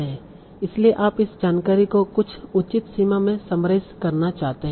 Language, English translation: Hindi, So you want to summarize this information to some reasonable extent